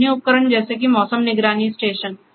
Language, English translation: Hindi, Other instruments as such like there is a weather monitoring station